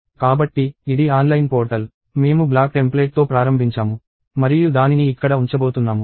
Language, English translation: Telugu, So, this is the online portal; I start with a black template and I am going to put it here